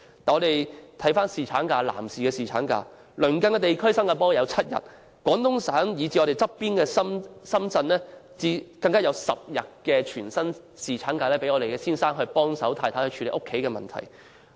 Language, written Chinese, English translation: Cantonese, 再看看男士的侍產假，鄰近地區例如新加坡有7天，廣東省以至毗鄰香港的深圳更有10天全薪侍產假，讓丈夫助太太處理家中事務。, Then let us look at paternity leave for men . In the neighbouring regions Singapore provides seven - day paternity leave whereas Guangdong Province and Shenzhen adjacent to Hong Kong even grant 10 - day paternity leave on full pay so that husbands can help their wives to handle household chores